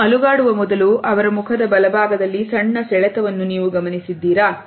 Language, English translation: Kannada, Do you see this little twitch on the right side of his face here before he shakes